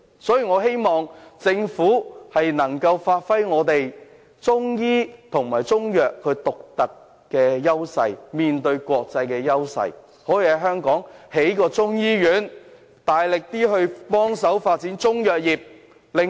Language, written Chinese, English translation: Cantonese, 所以，我希望政府能夠發揮我們在中醫和中藥方面的獨特優勢，在香港興建一所中醫院，大力協助發展中藥業。, I therefore hope that the Government can make good use of our unique advantage in Chinese medicine practice and Chinese medicine and vigorously assist in their development through the establishment of a Chinese medicine school in Hong Kong